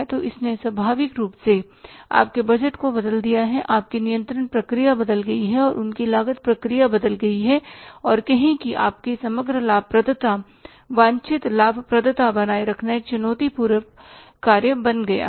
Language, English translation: Hindi, So, naturally your budgeting has changed, your controlling process has changed and in between your costing process has changed and say overall the profitability maintaining the desired profitability has become a challenging factor